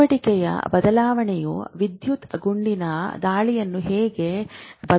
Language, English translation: Kannada, How does change of activity alter the electrical firing